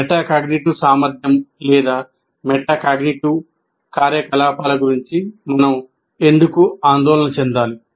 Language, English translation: Telugu, And why should we be concerned about metacognitive ability or metacognitive activities